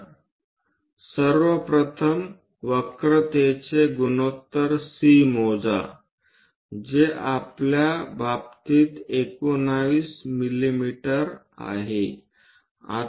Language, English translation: Marathi, So, first of all, calculate that ratio C of the curve which will turns out to be 19 mm in our case